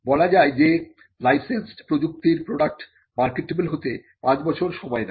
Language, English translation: Bengali, Now, it is said that it takes 5 years for a licensed product technology to become a marketable product